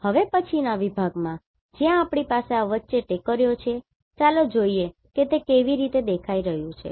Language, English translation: Gujarati, In the next section where we have this hills in between let us see how they are appearing